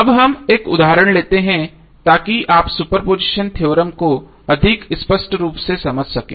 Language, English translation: Hindi, Now let us take one example so that you can understand the super position theorem more clearly